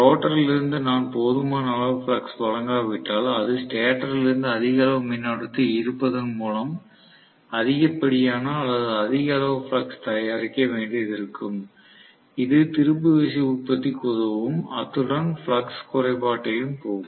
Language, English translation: Tamil, If I do not provide sufficient amount of flux from the rotor, it might have to produce excess or more amount of flux by drawing more amount of current from the stator, which will fend for production of torque, as well as any shortcoming in the flux